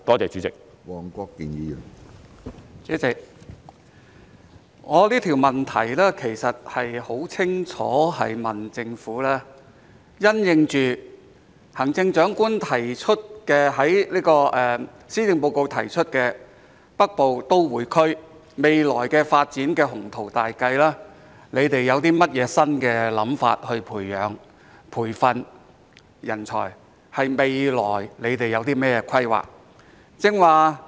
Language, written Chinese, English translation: Cantonese, 主席，我這項質詢其實很清楚是問政府，因應行政長官在施政報告提出的北部都會區未來發展的雄圖大計，政府有何新想法以培養或培訓人才，是問政府未來有何規劃。, President in fact my question is clearly about what new ideas the Government has to nurture or train talents in the light of the Chief Executives ambitious plans for the future development of the Northern Metropolis as set out in her Policy Address . I am asking about the future planning of the Government